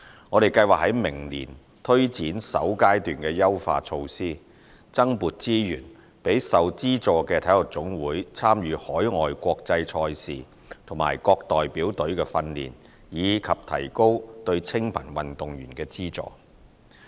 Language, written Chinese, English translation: Cantonese, 我們計劃在明年推展首階段的優化措施，增撥資源予受資助的體育總會參與海外國際賽事和各代表隊的訓練，以及提高對清貧運動員的資助。, We plan to introduce enhancement measures of the first phase next year to allocate additional resources to subvented NSAs for participating in international sports events overseas and for squad training and to raise the amount of subsidy to needy athletes